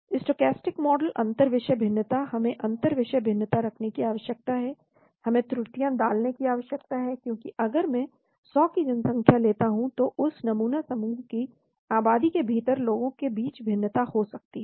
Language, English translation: Hindi, Stochastic model inter subject variation, we need to put intra subject variation, we need to put errors, because if I take a 100 population there could be variation between the people within that sample group population